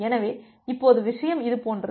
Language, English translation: Tamil, So, now the thing is that like this